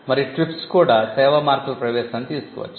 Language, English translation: Telugu, And the TRIPS also saw the introduction of service marks